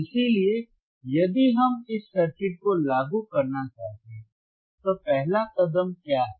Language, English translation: Hindi, So, if we want to implement this circuit, what is the first step